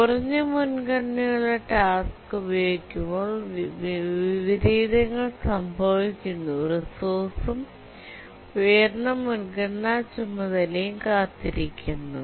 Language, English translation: Malayalam, The inversion occurs when a lower priority task is using resource and high priority task is waiting